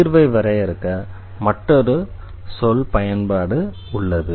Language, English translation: Tamil, There is another terminology use for defining the solution